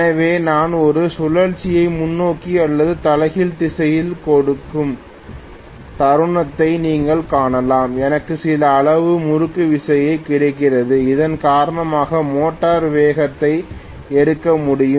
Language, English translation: Tamil, So you can see the moment I give a rotation either in forward direction or reverse direction I do have some amount of torque available because of which the motor will be able to pick up speed